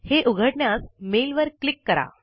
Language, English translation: Marathi, Click on the mail to open it